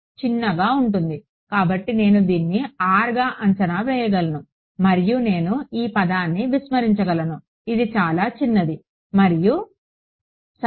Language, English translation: Telugu, Small right so, I can approximate this as R and I can ignore this term which is going to be very small and alright ok